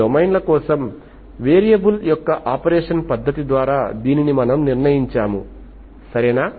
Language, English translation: Telugu, This is what we have devised, this is what we have determined by the method of operation of variable for certain domains, okay